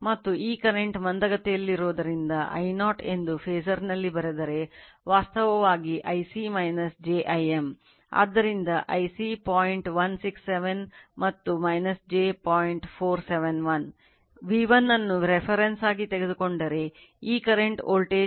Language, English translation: Kannada, And as this current is lagging if you write in your phasor thing that your I0 will be = actually I c minus j I m right